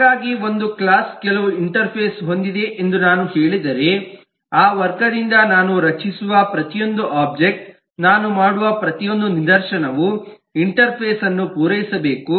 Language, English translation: Kannada, so if i say that a class has certain interface, then every object that i create of that class, every instance that i do that must satisfy the interface